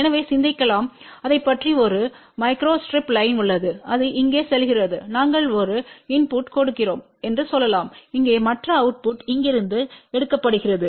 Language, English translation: Tamil, So, let us think about that there is a one micro strip line which is going here let us say we are giving a input here and the output is taken from here